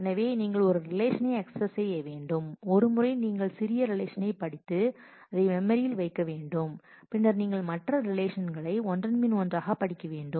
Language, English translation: Tamil, So, you just need to access one relation once you need to read the smaller relation and put it in the memory and then you just need to read the other relation one after the other